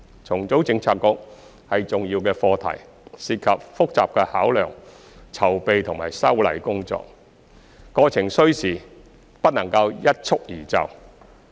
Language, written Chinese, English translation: Cantonese, 重組政策局是重要課題，涉及複雜的考量、籌備及修例工作，過程需時，不能一蹴而就。, Reorganization of Policy Bureaux is an important issue which involves complicated considerations preparations and legislative amendments . The process takes time and cannot be achieved overnight